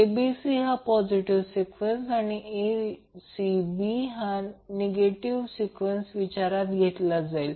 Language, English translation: Marathi, So, ABC is considered as a positive sequence and a ACB is considered as a negative phase sequence